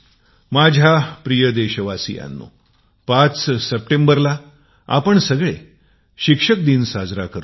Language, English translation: Marathi, My dear countrymen, we celebrate 5th September as Teacher's Day